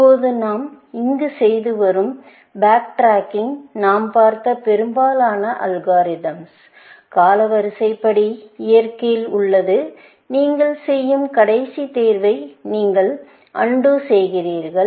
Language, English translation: Tamil, Now, the backtracking that we are doing here, in most of the algorithm that we have seen, is chronological in nature; that you undo the last choice that you make